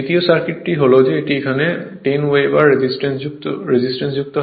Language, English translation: Bengali, Second circuit is the, that a 10 over resistance is connected here